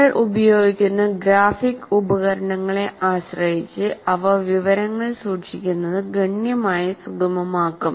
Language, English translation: Malayalam, So, depending on the kind of graphic tools that you are using, they can greatly facilitate retention of information